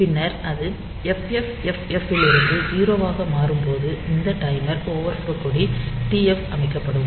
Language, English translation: Tamil, So, it will go on increasing, and then with it rolls over from FFFF to 0, then this timer overflow flag f TF will be set